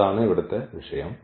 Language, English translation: Malayalam, So, that is the point here